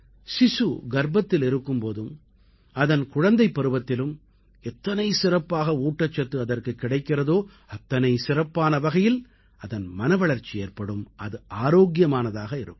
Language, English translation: Tamil, Experts are of the opinion that the better nutrition a child imbibes in the womb and during childhood, greater is the mental development and he/she remains healthy